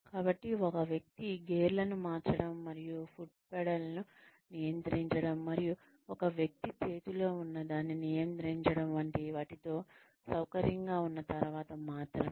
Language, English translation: Telugu, So, only after a person gets comfortable with changing gears, and with controlling the foot pedals, and with controlling, what is in a person's hand